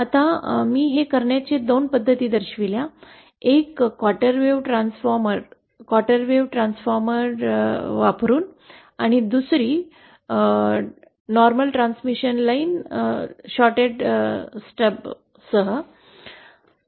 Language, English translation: Marathi, Now I have shown 2 methods of doing this, one using quarter wave transformer quarter wave transformer and the other using normal transmission lines along with shorted stubs